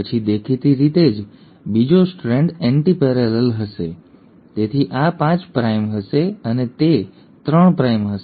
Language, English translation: Gujarati, Then obviously the second strand is going to be antiparallel, so this will be 5 prime and it will go 3 prime